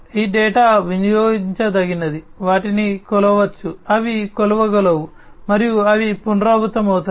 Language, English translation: Telugu, These data are consumable, they can be measured, they are measurable, and they are repeatable, right